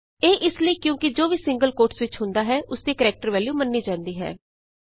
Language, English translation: Punjabi, This is because anything within the single quotes is considered as a character value